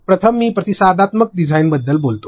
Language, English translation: Marathi, First I will speak about responsive design